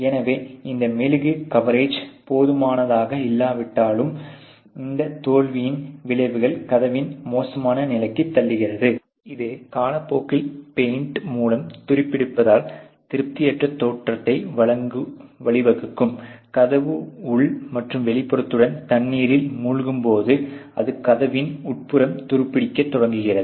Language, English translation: Tamil, So, once this wax coverage is insufficient, the effects of this failure could be the deteriorated life of the door which can lead to an unsatisfactory appearance due to rust through paint over time, so obviously, there is going to be a sinking of the water with in the door inner and outer and its going start rusting the inner side inside of the door ok